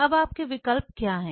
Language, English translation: Hindi, Now what are your options